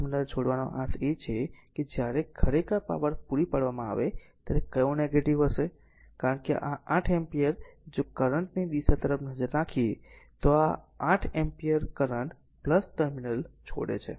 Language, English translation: Gujarati, Leaving the plus terminal means it is where your what you call sign will be negative when power supplied actually right, because this 8 ampere if you look at the direction of the current this 8 ampere current actually leaving the plus terminal